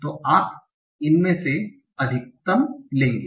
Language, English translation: Hindi, So you will take the max of these